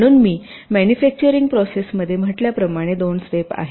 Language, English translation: Marathi, so manufacturing process, as i said, comprises of two steps